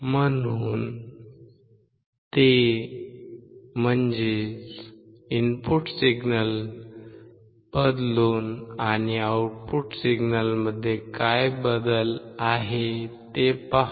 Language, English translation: Marathi, So, change it and observe what is the change in the output signal